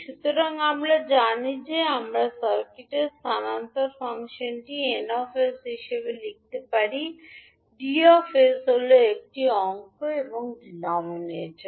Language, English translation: Bengali, So we know that we the transfer function of the circuit can be written as n s by d s that is numerator and denominator